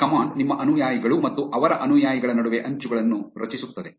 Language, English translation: Kannada, This command will generate the edges between your followees and their followees